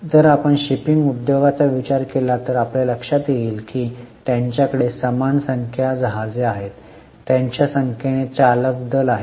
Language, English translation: Marathi, If you think of shipping industry you will realize that they have same number of ships, same number of crew